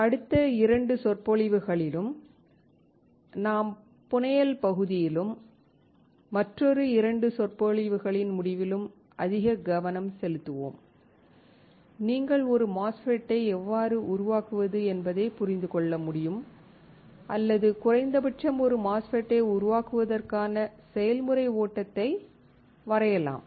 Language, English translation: Tamil, In the next 2 lectures, we will be focusing more on the fabrication part and sometime around the end of another 2 lectures, will you be able to understand how you can fabricate a MOSFET or at least draw the process flow for fabricating a MOSFET